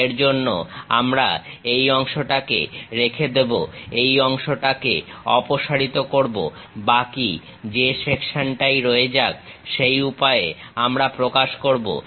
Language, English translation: Bengali, For that we retain this portion, remove that portion whatever the left over section that is a way we represent